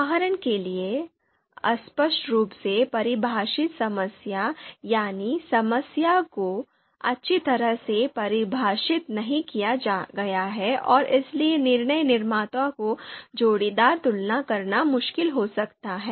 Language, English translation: Hindi, For example, vaguely defined problem, the problem is not well defined and therefore decision maker find it difficult to you know make their pairwise comparisons